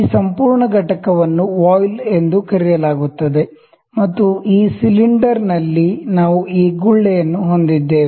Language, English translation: Kannada, This whole component is known as voile; the cylinder in which we have this bubble